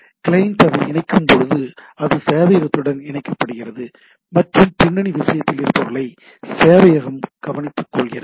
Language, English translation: Tamil, So, the client when it connects, it is connects to the server and server takes care of those at the background thing